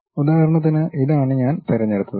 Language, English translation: Malayalam, For example, this is the one what I picked